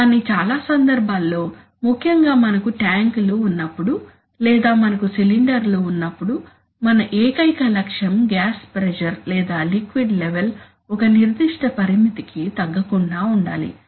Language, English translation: Telugu, But in many cases, we especially, when we have tanks or we have cylinders our only objective is that the gas pressure or the liquid level does not fall below a certain limit